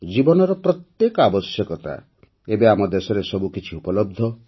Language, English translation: Odia, Now every necessity of life… everything is available